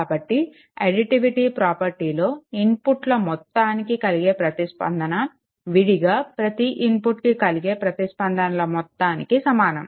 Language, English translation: Telugu, So, additivity property is it requires that the response to a sum of inputs to the sum of the responses to each inputs applied separately